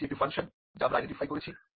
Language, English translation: Bengali, This is one of the functions that we identified